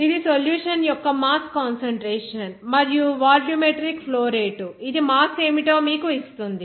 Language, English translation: Telugu, It is the mass concentration of the solution and volumetric flow rate, it will give you simply what will be the mass